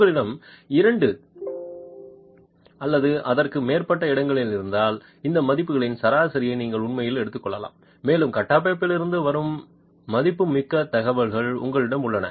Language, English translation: Tamil, If you have two or more locations you can actually take an average of these values and you have valuable information coming from the structure itself